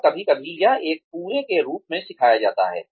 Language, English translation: Hindi, And sometimes, it is taught as a whole